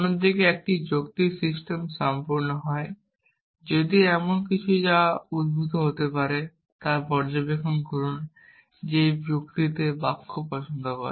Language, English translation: Bengali, On the other hand, a logical system is complete if anything that is entailed can be derived observe this also look likes sentences in a logic